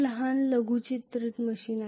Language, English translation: Marathi, Very very small miniaturized machine